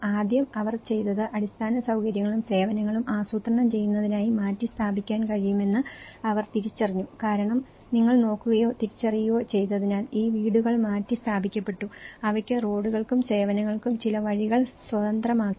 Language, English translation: Malayalam, First, what they did was they identified that could be relocated in order to plan for infrastructure and services because you look at or identified so that is where and these are, these houses have been relocated and they have some passage for roads and services has been freed up